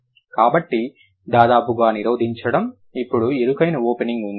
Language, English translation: Telugu, So, blocking almost then there is a narrow opening